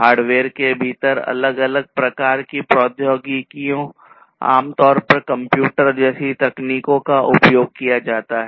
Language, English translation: Hindi, So, within hardware we have different types of technologies that are used commonly technologies such as computer